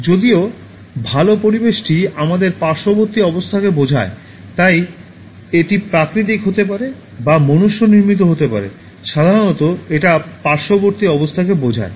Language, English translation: Bengali, While, well, environment refers to our surrounding conditions, so it could be natural or man made generally refers to surrounding conditions